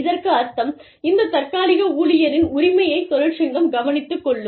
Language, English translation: Tamil, Which means, that the interests of this temporary worker, can be looked after, by the union